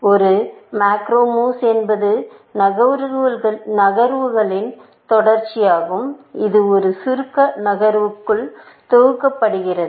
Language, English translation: Tamil, A macro move is a sequence of moves, packaged into one abstract move